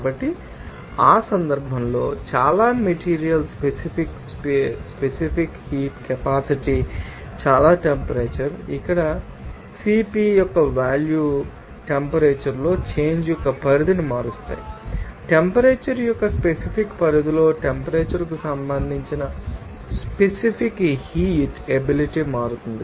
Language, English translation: Telugu, So, in that case specific heat capacities for most substances very temperature where the values of CP vary the range of the change in temperature and within a certain range of temperature that specific heat capacity will change with respect to temperature